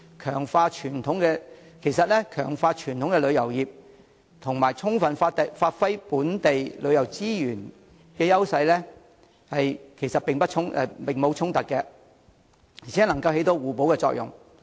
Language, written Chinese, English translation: Cantonese, 其實，強化傳統旅遊業與充分發揮本地旅遊資源的優勢並無衝突，而且能起互補作用。, In fact there is no conflict between fortifying the traditional tourism industry and giving full play to the edges of local tourism resources and these two elements can complement each other